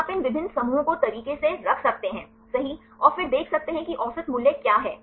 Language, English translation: Hindi, So, you can put these different clusters right and then see you what is average values